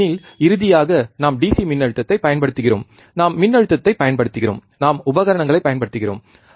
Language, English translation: Tamil, Because finally, we are applying DC voltage, we are applying voltage, we are using the equipment